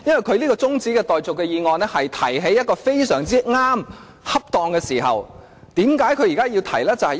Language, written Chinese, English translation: Cantonese, 他這項中止待續議案正在一個非常正確，恰當的時候提出。, His adjournment motion is raised precisely at the most opportune moment